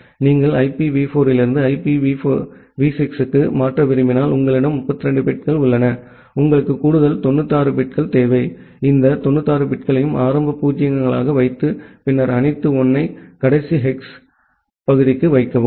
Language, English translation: Tamil, If you want to convert from IPv4 to IPv6 you have 32 bits, you require additional 96 bits, you put all this 96 bits as initial 0’s and then all 1’s for the last hex part